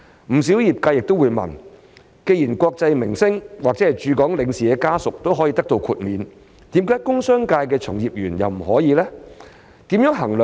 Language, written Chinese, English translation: Cantonese, 不少業界亦會問，既然國際明星或駐港領事的家屬也可以獲得豁免，為何工商界的從業員卻不可以？, Quite a number of industries would also ask why practitioners in the industrial and commercial sectors are not exempted given the fact that exemptions are also granted to family members of international celebrities or consuls in Hong Kong